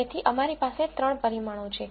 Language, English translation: Gujarati, So, we have 3 parameters